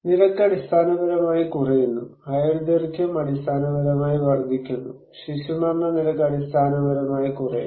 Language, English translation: Malayalam, No, we are much safer, accident rate basically decreasing, life expectancy basically increasing and infant mortality rate basically decreasing